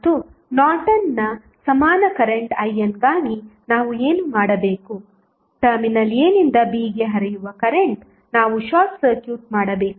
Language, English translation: Kannada, And for the Norton's equivalent current I n what we have to do, we have to short circuit the current flowing from Terminal A to B